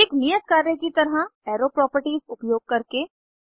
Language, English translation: Hindi, As an assignment Using arrow properties 1